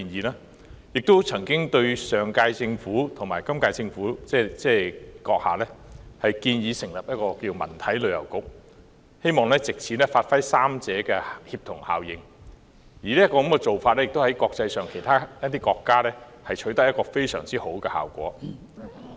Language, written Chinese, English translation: Cantonese, 我曾經向上屆政府和本屆政府建議成立"文體旅遊局"，希望藉此發揮三者的協同效應，而這做法在其他國家亦取得非常好的效果。, I have proposed to the Government of the previous term and the current one that is you Chief Executive the establishment of a Culture Sports and Tourism Bureau in order to bring about synergy of these three aspects . Excellent results have been achieved in other countries